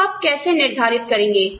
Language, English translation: Hindi, So, how will you decide